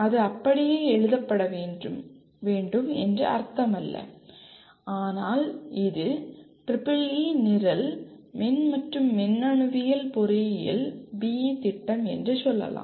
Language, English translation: Tamil, It does not mean that it has to be exactly written like that but this is one sample of let us say EEE program, Electrical and Electronics Engineering B